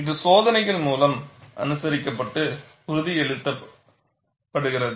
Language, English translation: Tamil, And this is observed and corroborated by experiments